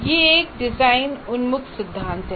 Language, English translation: Hindi, It is a design oriented theory